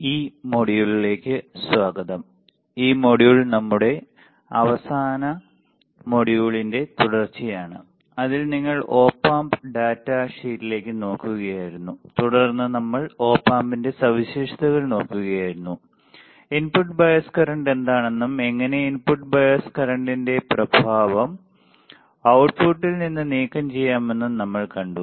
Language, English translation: Malayalam, Welcome to this module this module is a continuation of our last module in which you were looking at the Op Amp data sheet and then we were looking at the characteristics of Op Amp and we have seen what is input bias current and how we can remove the effect of input bias current on the output